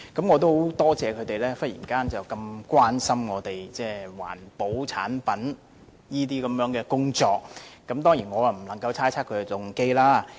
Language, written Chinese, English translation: Cantonese, 我很多謝他們忽然這麼關心環保產品相關的工作，我當然不能猜測他們的動機。, I am really very thankful to them for their sudden concern about the work relating to environmental products and I certainly cannot speculate their motives